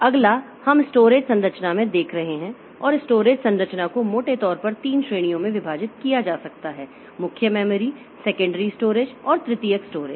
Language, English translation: Hindi, Next we'll be looking into storage structure and storage structure can be broadly divided into three categories, main memory, secondary storage and tertiary storage